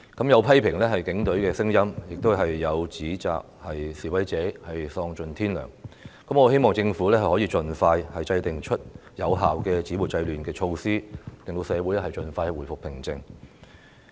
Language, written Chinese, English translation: Cantonese, 有批評警方的聲音，也有指責示威者喪盡天良，我希望政府能夠盡快制訂有效止暴制亂的措施，令社會盡快回復平靜。, While there were criticisms against the Police there were also accusations against the fiendish acts of the demonstrators . I hope that the Government can expeditiously formulate effective measures to stop violence and curb disorder so that tranquility can be restored in society as soon as possible